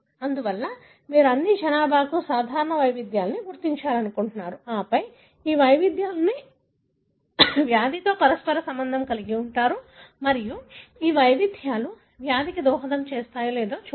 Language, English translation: Telugu, Therefore, you want to identify common variants for all the populations and then, correlate these variations with the disease and see whether these variants contribute to the disease